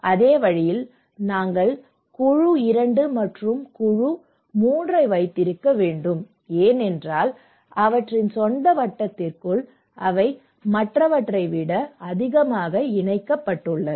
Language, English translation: Tamil, Like the same way, we can have group 2 and group 3 because they within their own circle is more connected than other